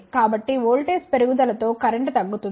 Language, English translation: Telugu, So, the current will decrease with increase in voltage